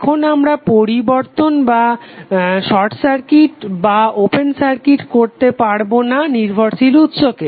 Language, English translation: Bengali, Now we cannot change or we cannot short circuit or open circuit the dependence sources